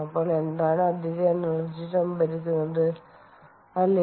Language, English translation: Malayalam, so then what is the additional energy stored